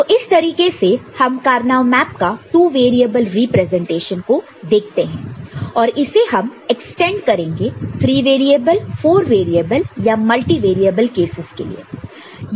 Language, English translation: Hindi, So, this is how we look at it two variable representation of a Karnaugh map and this will be extended for three and four variable multi multivariable cases